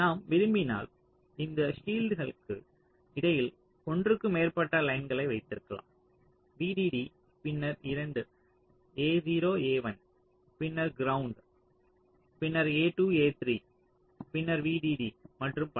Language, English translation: Tamil, so if you want, you can keep more than one lines between these shields: v d d, then two, a zero, a one, then ground, then a two a three, then v d d, and so on